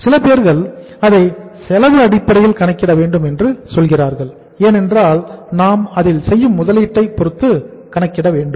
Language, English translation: Tamil, Or some people say that it should be on the cost basis because we are only going to calculate the investment we are going to make here